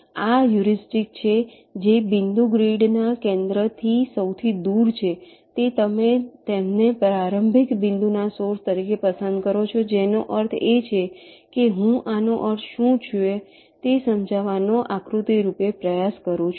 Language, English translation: Gujarati, so this heuristic says that the point which is farthest from the center of the grid, you choose it as the source of the starting point, which means let me diagrammatically try to explain what does this mean